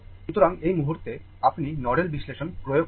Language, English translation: Bengali, So, at this point, so, now you apply the nodal analysis